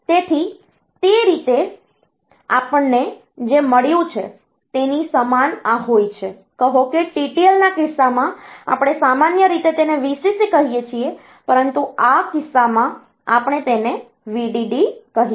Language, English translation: Gujarati, So, that way it is similar to we have got say in case of TTL, we normally call it VCC, but in this case we will call it VDD